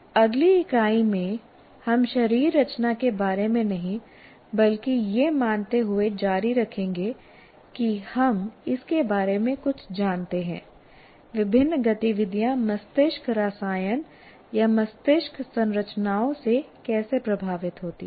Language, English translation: Hindi, And in the next unit will continue the not about the anatomy, but assuming that we know something about it, how different activities kind of are influenced by the brain chemistry or brain structures